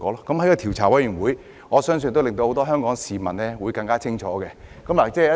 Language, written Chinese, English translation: Cantonese, 我相信調查委員會的工作，會令很多香港市民更清楚真相。, I believe the work of the investigation committee will allow many Hong Kong people to have a clearer idea of the truth